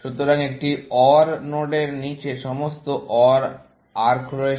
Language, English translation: Bengali, So, an OR node has all OR arcs below it